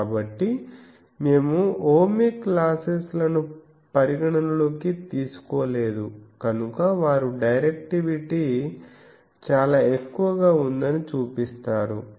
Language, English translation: Telugu, Since, we are not taking any losses into account ohmic losses into account in this, so they show that the directivity is very high